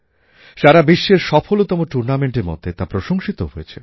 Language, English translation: Bengali, The whole world acclaimed this as a very successful tournament